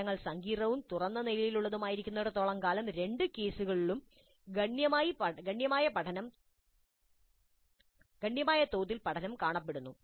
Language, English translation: Malayalam, As long as the problems are complex enough and open ended enough, the learning seems to be substantial in both the cases